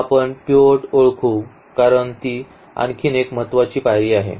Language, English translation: Marathi, So, let us identify the pivots because that is another important step